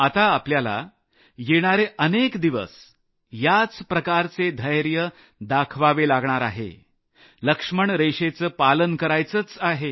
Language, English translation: Marathi, For the next many days, you have to continue displaying this patience; abide by the Lakshman Rekha